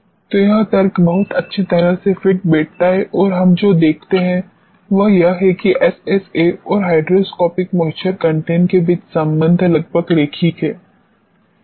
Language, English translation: Hindi, So, this logic fits very well and what we notice is that the relationship between SSA and hydroscopic moisture content it is almost linear